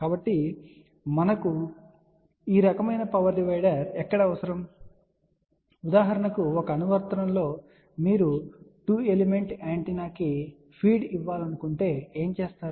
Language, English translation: Telugu, So, where we need this kind of a power divider, for example just to mentionone of the applications that if you want to feed let us say 2 element antenna